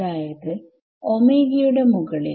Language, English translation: Malayalam, So, over omega right